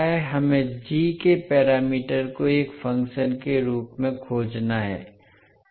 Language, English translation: Hindi, We have to find the g parameters as a function of s